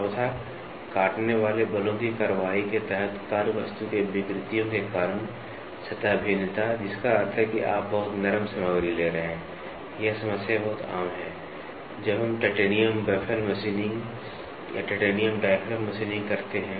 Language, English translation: Hindi, The surface variation caused by the deformations of the workpiece under the action of cutting forces that means, to say you are taking a very soft material, this problem is very common when we do titanium baffle machining or titanium diaphragm machining